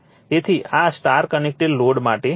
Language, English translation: Gujarati, So, this is for a star connected load